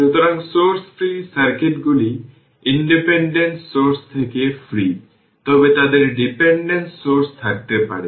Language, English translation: Bengali, So, source free circuits are free of independent sources, but they may have dependent sources